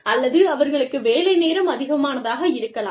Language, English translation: Tamil, Or, they have long working hours